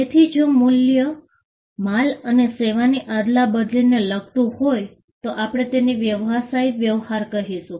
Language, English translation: Gujarati, So, if the value pertains to the exchange of goods and service then, we call that a business transaction